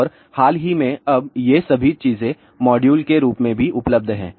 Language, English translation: Hindi, And, recently now all these things are also available in the moduled form